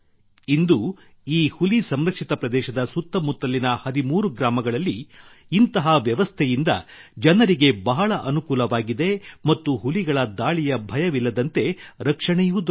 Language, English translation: Kannada, Today, this system has provided a lot of convenience to the people in the 13 villages around this Tiger Reserve and the tigers have also got protection